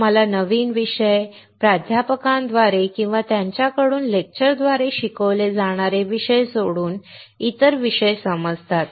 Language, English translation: Marathi, You understand new topics, the topics other than what is taught through a lecture through or from the professors